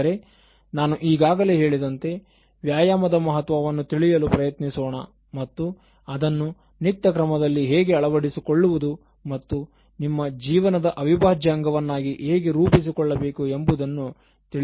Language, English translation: Kannada, And to start with, as I said we will try to understand the importance of exercise and how you can make that as a routine and make it part and parcel of your life and internalize exercise as such